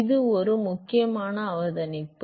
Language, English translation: Tamil, So, that is an important observation